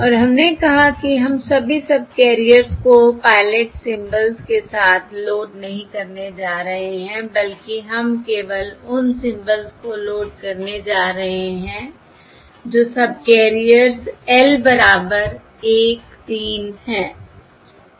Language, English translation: Hindi, And we said we are not going to load all the subcarriers with pilot symbols, rather, we are going to load only to symbols, that is, corresponding to subcarriers